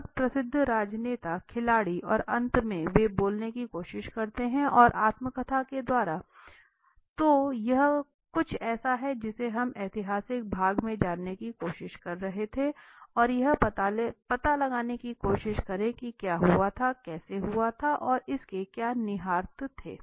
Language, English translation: Hindi, Very famous politicians very famous sports people and finally they try to speak up in the you know in the book autobiography so this is something were we try to go into historical part of the story and try to find out what had happened how it happened and what were the implications and all this right